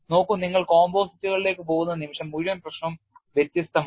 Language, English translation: Malayalam, See the moment you go to composites, the whole issue is different